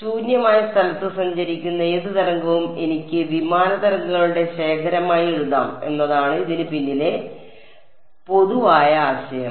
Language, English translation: Malayalam, So, the general idea behind this is that any wave that is travelling in free space I can write as a collection of plane waves ok